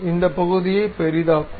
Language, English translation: Tamil, Let us zoom this portion